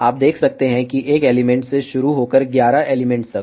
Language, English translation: Hindi, You can see that starting from one element all the way to eleven elements